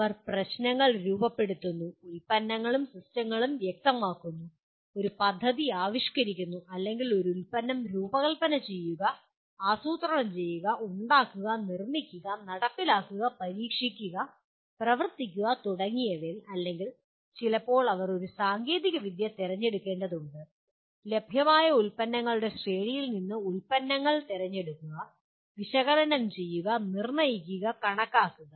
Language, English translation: Malayalam, They formulate problems, specify products and systems, conceive a plan or conceive a product, design, plan, architect, build, implement, test, operate and so on or sometimes they have to select a technology, select products from available range of products, analyze, determine, estimate, calculate